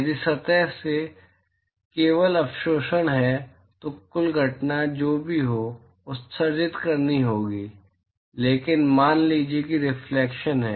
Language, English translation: Hindi, If there is only absorption in the surface then whatever is the total incident that has to be emitted but supposing if there is reflection